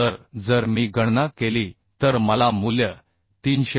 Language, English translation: Marathi, So if I calculate I will get the value as 334